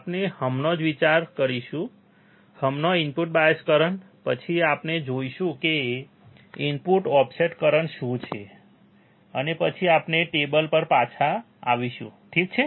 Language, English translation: Gujarati, We will just consider, right now input bias current, then we will see what is input offset current, and then we will come back to the table, alright